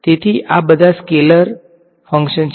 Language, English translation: Gujarati, So, all of these are scalar functions ok